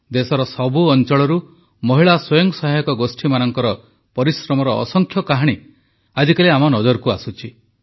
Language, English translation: Odia, Numerous stories of perseverance of women's self help groups are coming to the fore from all corners of the country